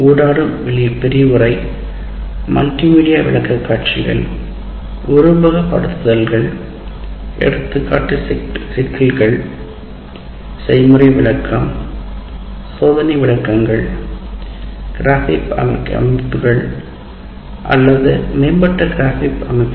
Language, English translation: Tamil, Interactive lecture, multimedia presentations, simulations, example problems, field demonstration, experimental demonstrations, the graphic organizers or advanced graphic organizers